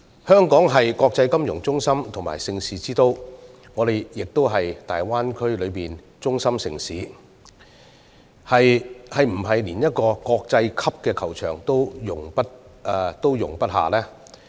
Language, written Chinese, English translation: Cantonese, 香港是國際金融中心和盛事之都，而我們亦是大灣區內的中心城市，是否連一個國際級球場也容不下呢？, Hong Kong is an international financial centre and events capital and we are also a central city in the Greater Bay Area . Can we not even accommodate a world - class golf course?